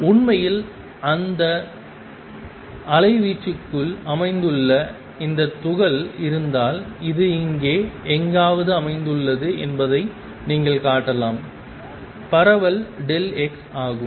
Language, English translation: Tamil, And In fact, you can show that if there is this particle which is located within this amplitude it is located somewhere here, is the spread is delta x